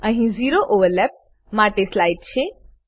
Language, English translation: Gujarati, Here is a slide for zero overlap